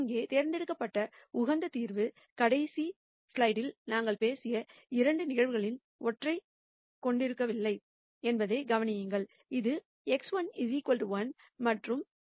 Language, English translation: Tamil, Notice that the optimum solution here that is chosen does not have either one of the 2 cases that we talked about in the last slide, which is x 1 equal to 1 and x 1 equal to minus 0